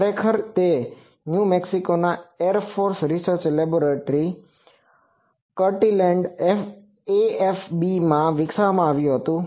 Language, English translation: Gujarati, Actually it was developed at air force research laboratory Kirtland AFB, New Mexico